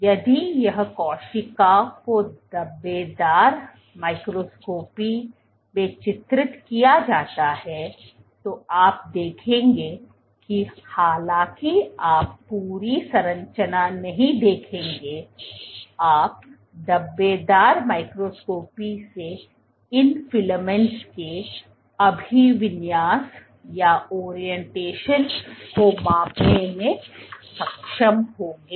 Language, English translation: Hindi, If the same cell where imaged in speckle microscopy then what you would see, though you will not see the entire structure, but you can gauge the orientation of these filaments from the speckle microscopy